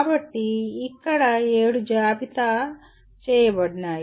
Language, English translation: Telugu, So there are seven that are listed here